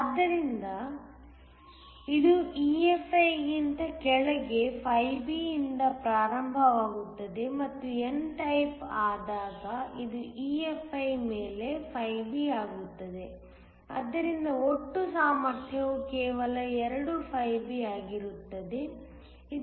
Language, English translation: Kannada, So, it is starts B below EFi and when becomes n type, it becomes B above EFi, so that the total potential is just 2 B